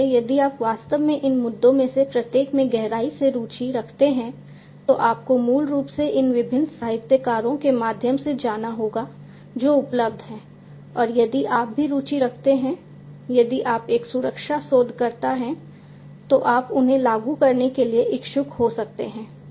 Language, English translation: Hindi, So, if you are indeed interested to deep to drill deep down into each of these issues you have to basically go through these different literatures that are available and if you are also interested if you are a security researcher you might be interested to implement them